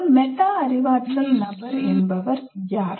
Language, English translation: Tamil, So who is a metacognitive person